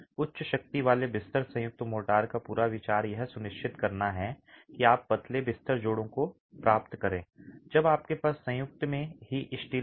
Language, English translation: Hindi, The whole idea of high strength bed joint motors is to ensure that you get thin bed joints when you have steel in the, when you have steel in the joint itself